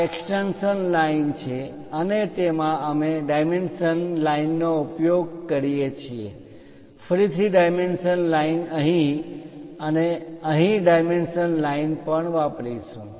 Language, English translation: Gujarati, These are the extension lines and in that we use dimension line, again dimension line here and also here dimension line